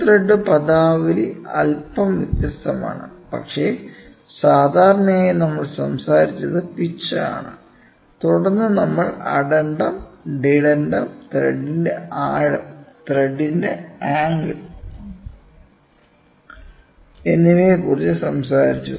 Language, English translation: Malayalam, So, thread screw thread terminology is slightly different, but generally what we more talked about is the pitch and then we talked about addendum, dedendum, depth of thread and angle of thread